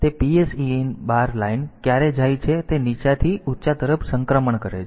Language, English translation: Gujarati, So, when is PSEN bar line goes makes a transition from low to high